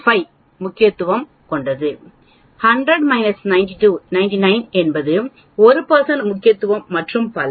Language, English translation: Tamil, 5 percent significance, 100 minus 99 will be 1 percent significance and so on